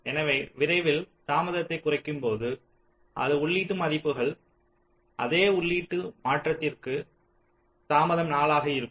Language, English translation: Tamil, so for this case, as soon as we reduce the delay for the same input values, same input transition, the delay is be showing at four